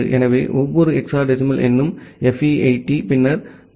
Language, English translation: Tamil, So every hexadecimal number is like FE80 then 0000